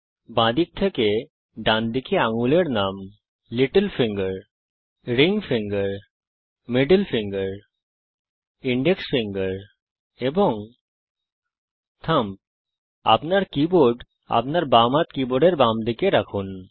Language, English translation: Bengali, Fingers, from left to right, are named: Little finger, Ring finger, Middle finger, Index finger and Thumb On your keyboard, place your left hand, on the left side of the keyboard